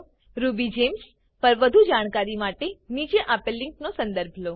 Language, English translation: Gujarati, For more information on RubyGems visit the following link